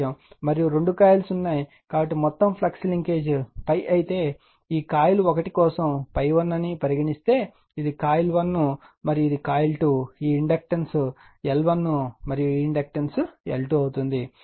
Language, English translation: Telugu, And two coils are there so, if my total flux linkage, if total flux linkages say my phi say this phi 1 for this coil 1, this is coil 1, this is my coil 1, and this is my coil 2, this inductance is L 1, inductance is L 2